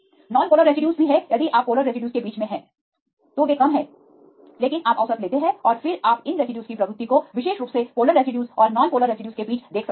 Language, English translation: Hindi, Non polar residues also if you are in the midst of the polar residues they have less, but you take the average and then you can see the tendency of these residues right specifically between the polar and un polar residues